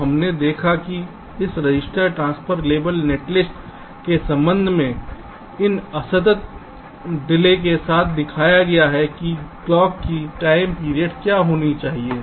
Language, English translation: Hindi, so we have seen that with respect to this register transfer level netlist, with these discrete delays are shown, what should be the time period of the clock